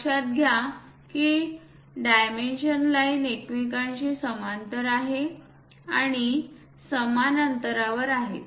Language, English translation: Marathi, Note that the dimension lines are parallel to each other and equally spaced